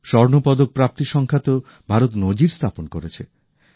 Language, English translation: Bengali, India also topped the Gold Medals tally